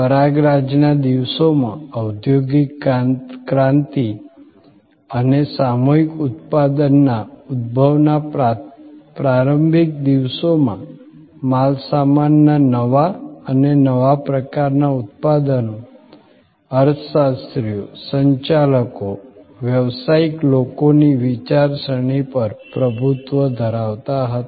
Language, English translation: Gujarati, In the hay days, in the early days of industrial revolution and emergence of mass manufacturing, goods newer and newer types of products dominated the thinking of economists, managers, business people